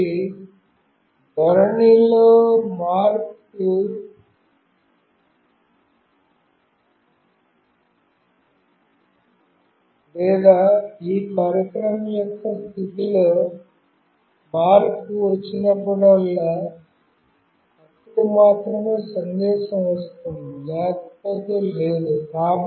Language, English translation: Telugu, So, whenever there is a change in orientation or change in position of this device that is the orientation, then only there is a message coming up, otherwise no